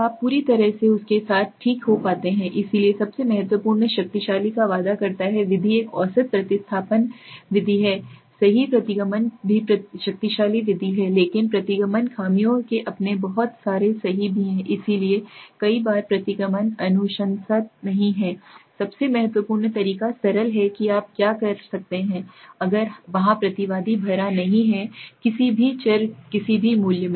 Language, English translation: Hindi, Then you completely replace with him okay so the most promising the most important powerful method is a mean substitution method right regression is also powerful method but regression has got its own lot of flaws also right so many times regression is not recommended rather the most important method is mean simple what you can do is if there is respondent has not filled up any variable any value